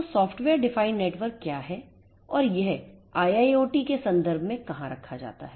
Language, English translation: Hindi, So, what is this SDN, what is software defined networks and where does it position itself in the IIoT context